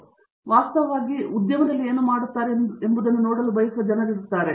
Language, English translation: Kannada, So, there are people who want to see what they are doing actually be applied in the industry